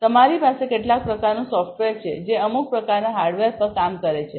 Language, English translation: Gujarati, So, you have some kind of software that is working on some kind of hardware